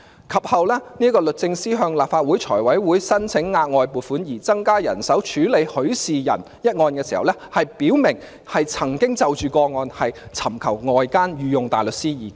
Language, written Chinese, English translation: Cantonese, 及後，律政司向立法會財務委員會申請額外撥款，以增加人手處理許仕仁一案時表明，曾經就個案尋求外間御用大律師意見。, Later at a Finance Committee meeting of the Legislative Council in which DoJ submitted a funding proposal for additional staffing to handle the case on Mr Rafael HUI the DoJ representative said that advice had been sought from outside counsel on the case